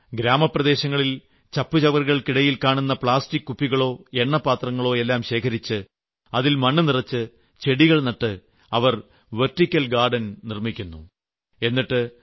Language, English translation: Malayalam, What is more, they had searched for and collected the plastic bottles and oil cans lying in the garbage in the villages and by filling those with soil and planting saplings, they have transformed those pots into a vertical garden